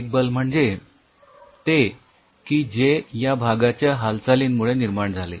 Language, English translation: Marathi, one is the force generated due to the movement of this part